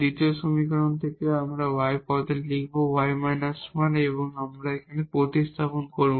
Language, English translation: Bengali, From the second equation also we write y minus 1 in terms of lambda we will substitute here